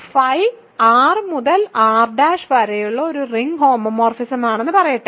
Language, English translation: Malayalam, Let us say R to R prime is a ring homomorphism